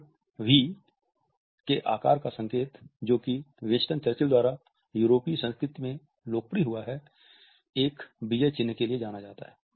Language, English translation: Hindi, The V shaped sign which is popularized by Winston Churchill in the European culture is known for a victory sign